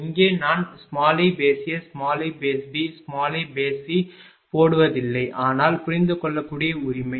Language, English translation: Tamil, Here I am not putting i A, i B, i C, but understandable right